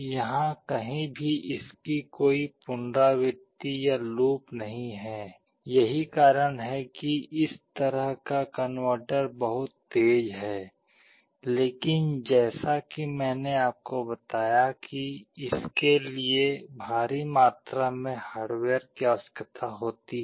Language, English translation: Hindi, There is no iteration or loop anywhere, that is why this kind of converter is very fast, but as I told you it requires enormous amount of hardware